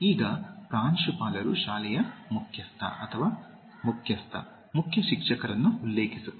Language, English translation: Kannada, Now, Principal refers to the head, the chief, the main teacher of a school